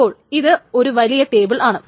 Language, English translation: Malayalam, So this is big table